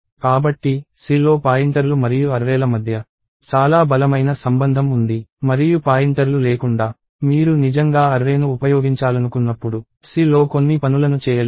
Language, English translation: Telugu, So, in C there is a very, very strong relationship between pointers and arrays and without pointers you cannot do a few things in C, when you actually want to use arrays